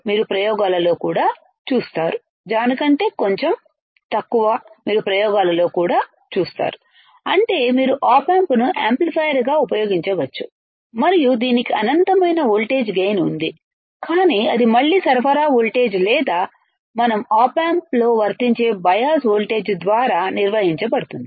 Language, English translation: Telugu, You will see in the experiments also that means, you can use op amp as an amplifier and it has an infinite voltage gain, but that will again also is governed by the supply voltage or the bias voltage that we apply across the op amp then we apply across the operational amplifier